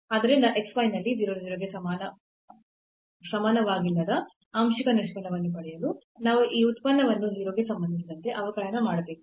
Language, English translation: Kannada, So, to get the partial derivative at x y with not equal to 0 0 we have to differentiate this function with respect to x